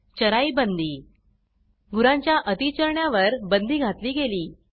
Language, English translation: Marathi, CharaiBandi Overgrazing of cattle was banned